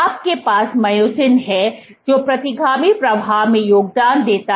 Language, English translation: Hindi, You have myosin which contributes to retrograde flow